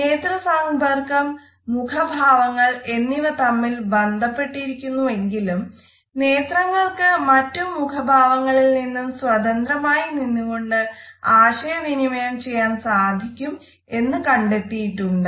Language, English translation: Malayalam, Although eye contact and facial expressions are often linked together we have found that eyes can also communicate message which is independent of any other facial expression